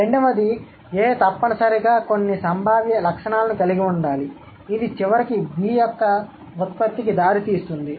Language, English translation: Telugu, Second one, A must have some potential features which would eventually result in the production of B